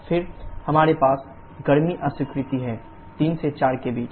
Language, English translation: Hindi, Then we have heat rejection, between 3 to 4